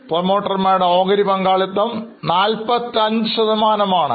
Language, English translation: Malayalam, The percentage of shareholding of promoters is 45%